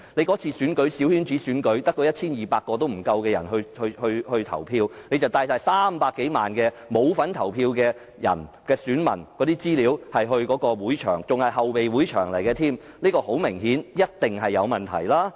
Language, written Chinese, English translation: Cantonese, 這次小圈子選舉只有不足 1,200 人投票，但當局卻帶了300多萬不用投票的選民的資料前往會場，而且還要是後備場地，這顯然及一定是有問題。, The coterie election concerned involved only fewer than 1 200 people but then the authorities brought the information about 3 million - odd electors who did not need to vote to the venue or the fallback venue to be precise . There was clearly and definitely a mistake